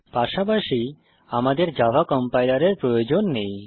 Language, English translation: Bengali, We do not need java compiler as well